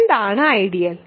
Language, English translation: Malayalam, So, what is an ideal